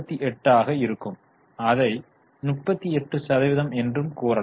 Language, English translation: Tamil, 38 let us express it as a percentage